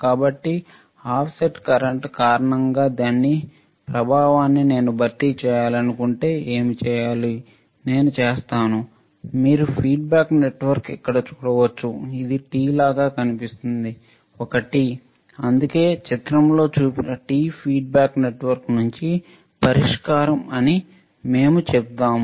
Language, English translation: Telugu, So, if I want to compensate the effect of due to the offset current what should I do, then the feedback network right here you can see here it looks like a T right it looks like a T that is why we say t feedback network shown in the figure is a good solution